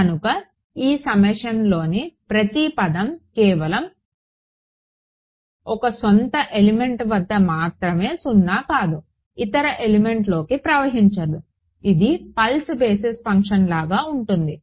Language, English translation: Telugu, So, every term in this summation is non zero only in it is a own element it does not spill over into the other element right it is like pulse basis function